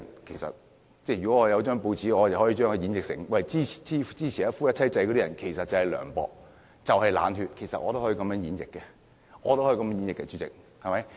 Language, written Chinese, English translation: Cantonese, 其實如果我辦報，我可以把支持一夫一妻制的人形容成涼薄、冷血，其實我也可以這樣演繹的，主席，對嗎？, Actually if I were a newspaper publisher I could describe supporters of monogamy as cold - blooded . I could actually interpret the expressions in this way . Chairman am I right?